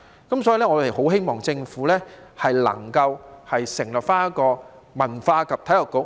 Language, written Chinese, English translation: Cantonese, 因此，我們很希望政府能夠成立文化及體育局。, Hence we hope that the Government can establish a Culture and Sports Bureau